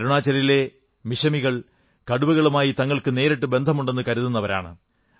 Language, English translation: Malayalam, Mishmi tribes of Arunachal Pradesh claim their relationship with tigers